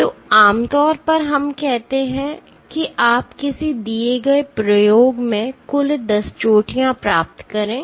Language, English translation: Hindi, So, typically let us say you get a total of 10 peaks in a given experiment